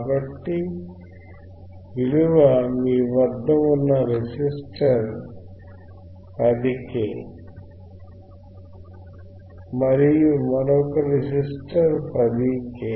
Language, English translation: Telugu, So, what is the value of resistor that you have is 10 k 10 k and the another resistor is